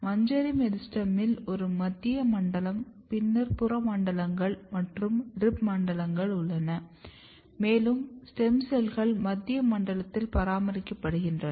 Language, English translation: Tamil, So, in inflorescence meristem also you have a central zone then you have peripheral zones and rib zones and stem cells are maintained in the central zone